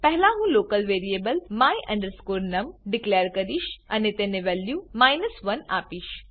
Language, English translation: Gujarati, First I declare a local variable my num and assign the value of 1 to it